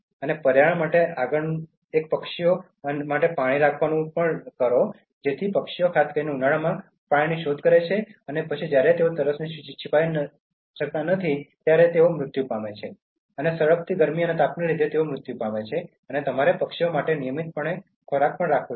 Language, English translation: Gujarati, And the next one for environment is keep water for birds, because birds look for water particularly in summer and then when they are not able to quench the thirst some birds even die, because of the scorching Sun and heat